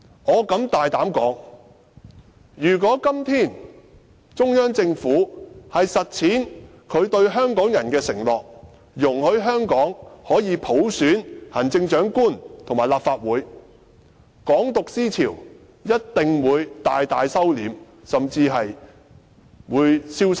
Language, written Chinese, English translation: Cantonese, 我敢大膽說，如果今天中央政府實踐對香港人的承諾，容許香港可以普選行政長官和立法會，"港獨"思潮一定會大為收斂，甚至在香港消失。, I can boldly say that if the Central Government honours its promise to Hong Kong people and allows them to elect the Chief Executive and the Legislative Council by universal suffrage the ideology of Hong Kong independence will certainly lose support and even disappear in Hong Kong